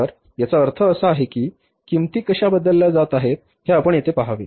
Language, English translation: Marathi, So, it means we have to see here that how the prices are being changed